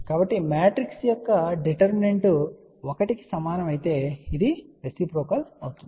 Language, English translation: Telugu, So, the determinant of the matrix if that is equal to one this is a reciprocal network